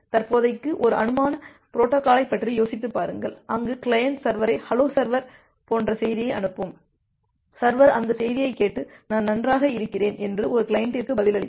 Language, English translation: Tamil, For the time being, just think of a hypothetical protocol where the client will send the server as a message like hello server and the server will listen that message and reply back to a client that I am fine